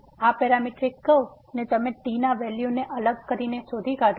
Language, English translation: Gujarati, So, this parametric curve you can trace by varying the values of